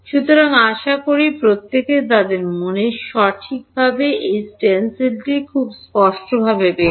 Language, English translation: Bengali, So, hopefully everyone is got this stencil very clearly in their mind set right